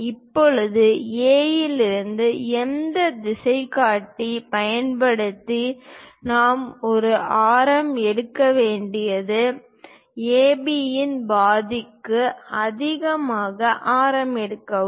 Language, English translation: Tamil, Now, using our compass from A; what we have to do is; pick a radius, pick a radius greater than half of AB